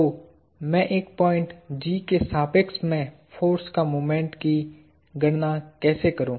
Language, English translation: Hindi, So, how do I calculate a moment of a force about a point G